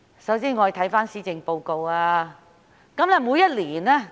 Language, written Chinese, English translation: Cantonese, 首先，我們看看施政報告。, First let us look at the Policy Address